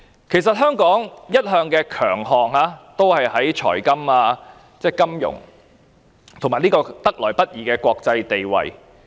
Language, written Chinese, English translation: Cantonese, 其實香港的強項一向是在財務金融方面，以及得來不易的國際地位。, Financial services and our hard - earned international position are our long - standing strength